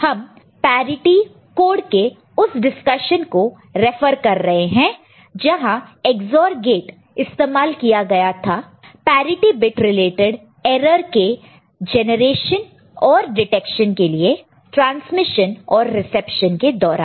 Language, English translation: Hindi, So, we refer to that discussion on parity code where Ex OR gates were used for generation and detection of parity; parity bit parity code related error in the transmission reception, ok